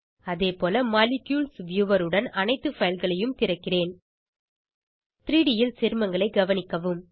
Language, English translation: Tamil, Likewise, I will open all the files with Molecules viewer Observe the compounds in 3D